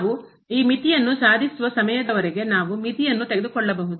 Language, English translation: Kannada, We can take the limit till the time we achieve this limit